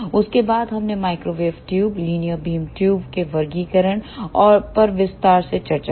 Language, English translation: Hindi, After that we discuss the classifications of microwave tubes, linear beam tubes we discuss in detail